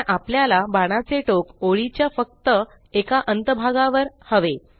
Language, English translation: Marathi, But we need an arrowhead on only one end of the line